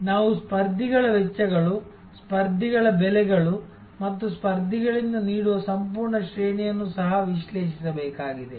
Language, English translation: Kannada, We also have to analyze the competitors costs, competitors prices and the entire range of offering from the competitors